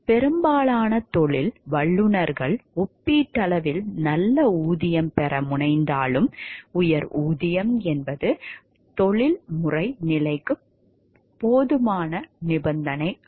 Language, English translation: Tamil, Although most professionals tend to be relatively well compensated, high pay is not a sufficient condition for a professional status